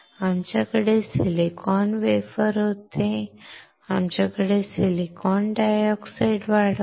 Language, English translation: Marathi, We had silicon wafer, on that we have grown silicon dioxide